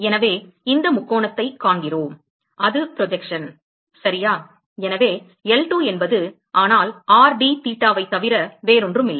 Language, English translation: Tamil, So, we see this triangle that is the projection right so L2 is nothing, but r dtheta